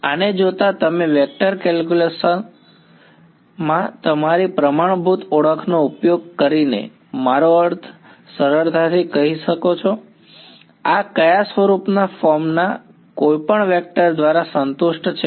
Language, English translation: Gujarati, Looking at this you can easily I mean by using your standard identities in vector calculus, this is satisfied by any vector of the form of what form